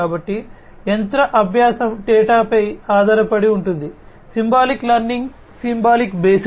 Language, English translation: Telugu, So whereas, machine learning is based on data; symbolic learning is symbol based, symbolic learning is symbol based